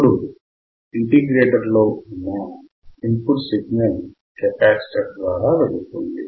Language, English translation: Telugu, The input signal goes to the capacitor in integrator